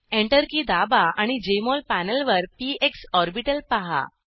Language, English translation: Marathi, Press Enter key and see the px orbital on the Jmol panel